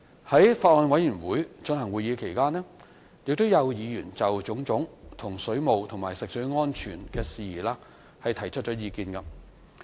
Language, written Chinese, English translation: Cantonese, 在法案委員會進行會議期間，有議員就種種水務和食水安全事宜提出意見。, During the meetings of the Bills Committee some Members gave views on various issues concerning water supplies and safety of drinking water